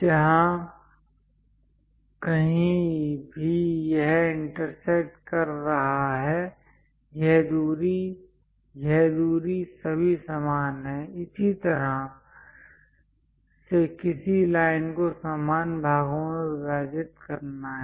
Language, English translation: Hindi, So that wherever it is intersecting; this distance, this distance, this distance all are equal; this is the way one has to divide the line into equal parts